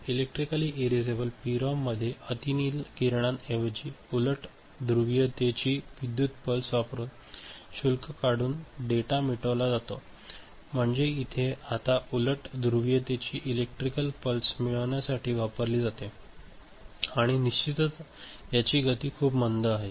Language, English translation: Marathi, In Electrically Erasable PROM the data is erased by removing the charge using an electrical pulse of opposite polarity instead of UV ray now eelectrical pulse of opposite polarity is used for erasing and of course, this is very slow